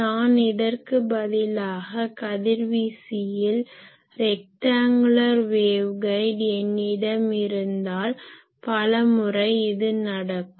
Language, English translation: Tamil, Similarly, if instead of this suppose I have a rectangular waveguide at the radiator many times this happens